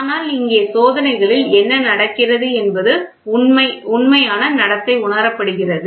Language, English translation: Tamil, So, but here what happens in the experiments the true behaviour is realized